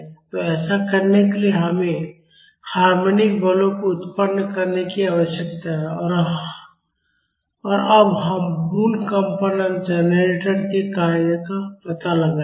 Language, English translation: Hindi, So, to do that, we need to generate harmonic forces and now we will explore the working of a basic vibration generator